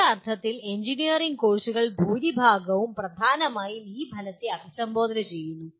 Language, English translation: Malayalam, In some sense majority of the engineering courses, mainly address this outcome